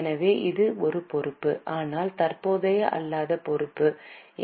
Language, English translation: Tamil, So, it's a liability but a non current liability, NCL